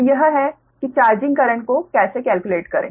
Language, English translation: Hindi, so this is how to calculate the charging current right now